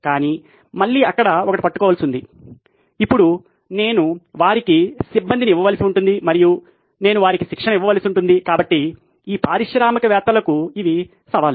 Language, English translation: Telugu, But again there is a catch there, now I will have to staff them and I will have to train them so these are challenges for this entrepreneurs